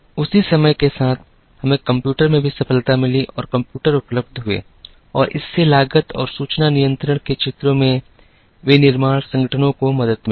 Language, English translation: Hindi, Along the same time, we also had breakthroughs in computers and computers were made available and this helped manufacturing organizations in the areas of cost and information control